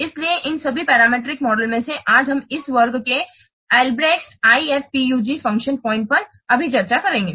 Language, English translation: Hindi, So out of all those parametric models today we'll discuss right now in this class Albreast IF IF PUG function point